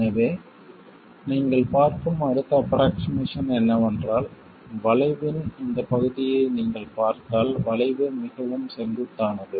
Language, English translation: Tamil, So, the next approximation that you see is that if you look at this part of the curve, the curve is quite steep